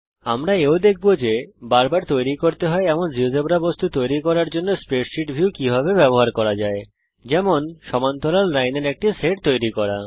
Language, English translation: Bengali, We will also see how the spreadsheet view can be used to create recurring Geogebra objects like creating a set of parallel lines